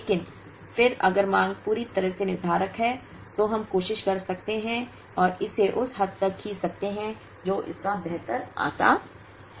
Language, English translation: Hindi, But, then if the demand is purely deterministic, then we can try and stretch it to the extent possible that comes out of this